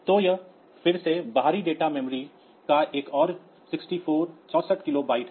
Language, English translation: Hindi, So, it is again another 64 kilobyte of external data memory